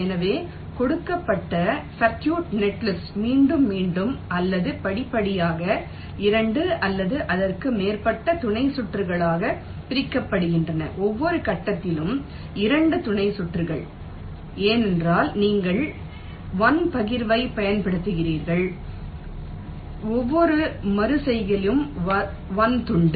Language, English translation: Tamil, so, given circuit, netlist is repeatedly or progressively partitioned into two or more sub circuits, two sub circuits at every stage, because you are using one partition, one slice in a wave artilation